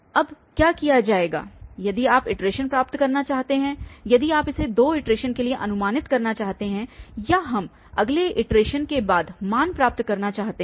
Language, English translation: Hindi, What will be now done if you want to get iteration, if you want to approximate for these two iterations or we want to get values after next iteration